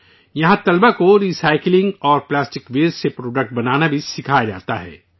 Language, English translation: Urdu, Here students are also taught to make products from recycling and plastic waste